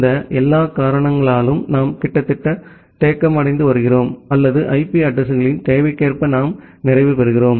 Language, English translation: Tamil, And because of all this reasons we are almost getting stagnant or we are almost getting saturated at the requirement of the IP addresses